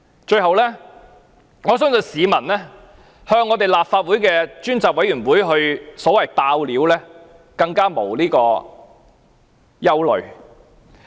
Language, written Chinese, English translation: Cantonese, 最後，我相信市民向立法會專責委員會"爆料"不會有所憂慮。, Lastly I believe the public would have no worries when disclosing information to a select committee of the Legislative Council